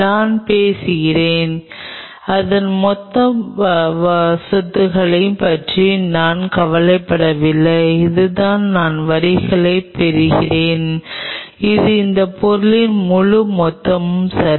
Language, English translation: Tamil, I am talking about I am not bothered about the whole bulk property of it this is what I am hatching the lines this is the whole bulk of that material ok